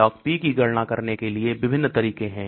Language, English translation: Hindi, There are different ways of calculating Log P